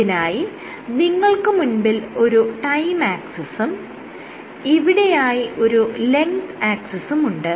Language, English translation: Malayalam, So, you have the following thing you have a time axis here and you have a length axis here